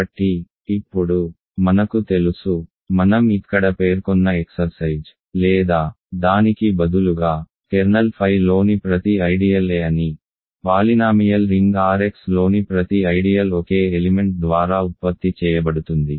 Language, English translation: Telugu, So, now, I know, because of the or the rather the exercise that I mentioned here, every ideal in a kernel phi is a, every ideal in the polynomial ring R x is generated by a single element